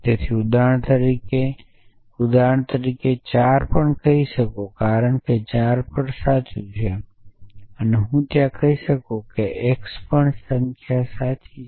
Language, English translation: Gujarati, So I can say even 4 for example, because even 4 is true I can say there and x even number is true essentially